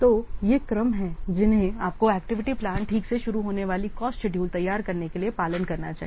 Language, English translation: Hindi, So these are the sequences that you must follow for what preparing the cost schedule starting from the activity plan